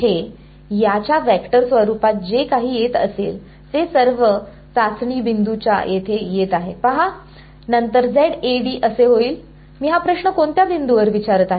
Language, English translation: Marathi, h is whatever is coming from the vector form of this guy is what is coming over here at all the testing point see, Z A, d then becomes at which point am I asking this question